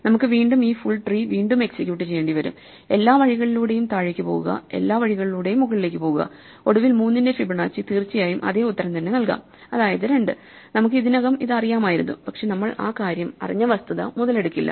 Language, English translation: Malayalam, So, we will again have to execute this full tree, go all the way down, go all the way up and eventually Fibonacci of 3 will of course, give us the same answer namely 2, which we already knew, but we would not take exploit or we would not take advantage of the fact that we knew it